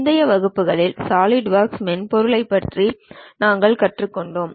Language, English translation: Tamil, In the earlier classes we have learned about Solidworks software